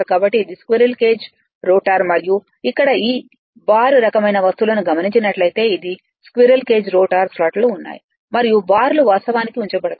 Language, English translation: Telugu, So, this is the squirrel cage rotor rather right and here whatever see some kind of bar kind of things it is squirrel cage rotor, the slots are there and bars actually are placed into that